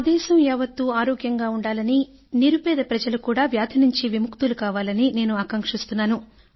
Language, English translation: Telugu, "I wish that my entire country should be healthy and all the poor people also should remain free from diseases